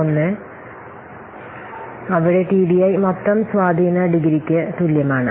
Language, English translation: Malayalam, 01 into TDI where TDI is equal to total degree of influence